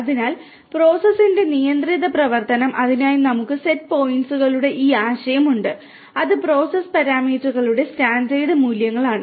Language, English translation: Malayalam, So, controlled operation of the process for that we have this concept of the state set points, which are the standard values of the process parameters